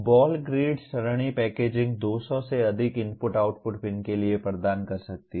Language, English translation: Hindi, Ball grid array packaging can provide for more than 200 input output pins